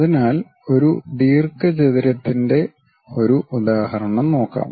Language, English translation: Malayalam, So, let us take an example a rectangle